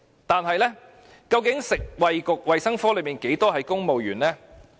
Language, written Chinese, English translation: Cantonese, 但是，究竟食物及衞生局裏面，有多少名公務員呢？, Yet exactly how many civil servants are there in the Food and Health Bureau ?